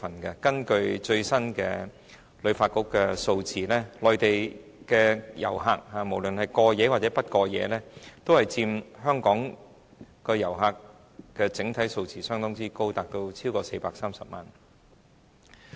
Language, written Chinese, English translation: Cantonese, 根據香港旅遊發展局最新的數字，內地遊客——無論是過夜或不過夜——佔香港整體遊客數目相當高，超過430萬人。, According to the latest statistics of the Hong Kong Tourism Board HKTB Mainland visitors be they overnight or same - day visitors account for a very high percentage in the total visitor arrivals numbering over 4.3 million